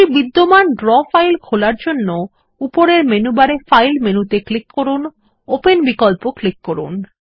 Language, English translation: Bengali, To open an existing Draw file, click on the File menu in the menu bar at the top and then click on the Open option